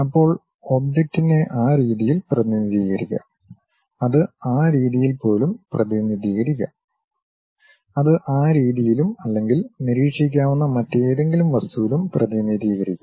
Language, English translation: Malayalam, Then the object may be represented in that way, it might be represented even in that way and it can be represented in that way also or any other object which might be observed